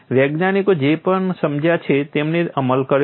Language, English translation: Gujarati, Whatever the scientist have understood they have implemented